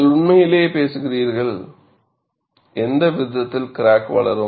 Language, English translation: Tamil, See, you are really talking about, at what rate the crack would grow